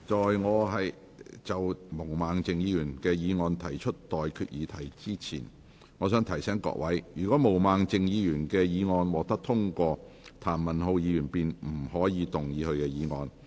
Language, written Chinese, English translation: Cantonese, 在我就毛孟靜議員的議案提出待決議題之前，我想提醒各位，若毛孟靜議員的議案獲得通過，譚文豪議員便不可動議他的議案。, Before I put the question to you on Ms Claudia MOs motion I would like to remind Members that if Ms Claudia MOs motion is passed Mr Jeremy TAM may not move his motion